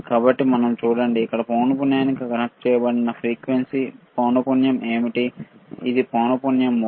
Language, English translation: Telugu, So, let us see, what is the frequency here connected to frequency, yes; it is a mode of frequency